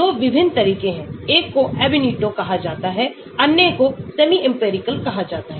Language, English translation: Hindi, There are 2 different approaches; one is called the Ab initio, other one is called the semi empirical